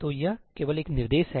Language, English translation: Hindi, So, it is only a single instruction